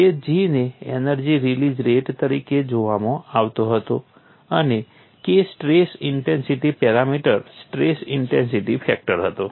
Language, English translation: Gujarati, G was look that as an energy release rate and K was a stress intensity parameter, stress intensity factor